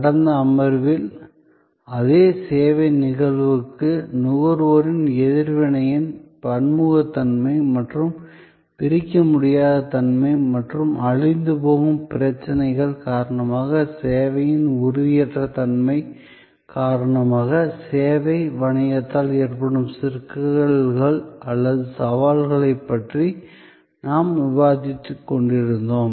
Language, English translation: Tamil, In the last session, we were discussing about the problems or challenges post by the service business, because of the intangible nature of service, because of the heterogeneity of consumer reaction to the same service instance and the inseparability and perishability issues